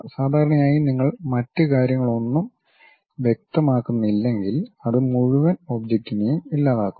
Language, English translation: Malayalam, Usually if you are not specifying any other things, it deletes entire object